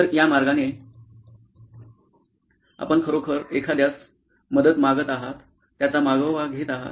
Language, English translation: Marathi, So this way you are actually tracking somebody who needs help